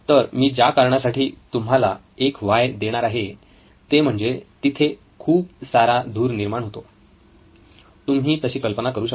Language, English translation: Marathi, So the reason I am going to give you one of the whys is the reason there is lot of smoke as you can imagine